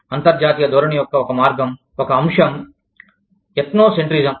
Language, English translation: Telugu, One way, one aspect, of international orientation is, Ethnocentrism